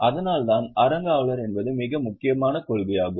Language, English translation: Tamil, That is why trustorship is a very important principle